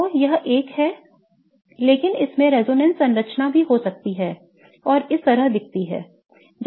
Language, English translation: Hindi, So, one is this, but it can also have a resonance structure that looks like this